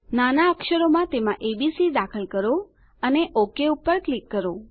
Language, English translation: Gujarati, Enter abc in small case in it and click OK